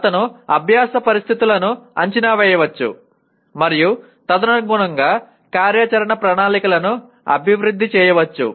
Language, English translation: Telugu, He can also assess learning situations and develop plans of action accordingly